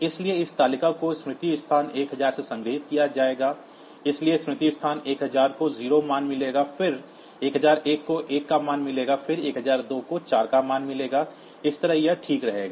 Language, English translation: Hindi, So, this table will be stored from memory location 1000, so memory location 1000 will get the value 0; then 1001 will get the value of 1, then 1002 will get the value 4, so that way it will continue fine